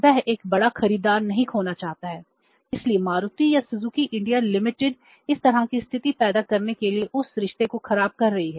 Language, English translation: Hindi, He doesn't want to lose a big buyer so Maruti or the Suzuki India Limited is spoiling that relationship or creating this kind of the situation